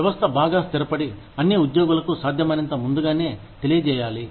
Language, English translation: Telugu, The system must be, well established and communicated, to all employees, as far ahead of time, as possible